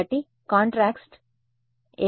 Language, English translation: Telugu, So, then what will the contrast become